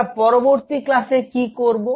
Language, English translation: Bengali, So, what will be doing in the next class